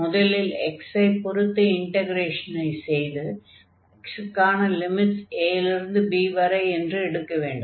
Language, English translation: Tamil, So, either we can integrate this function over this dx and the limit for x will go from a to b